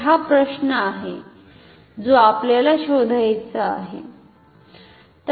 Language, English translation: Marathi, So, this is the question that we want to find out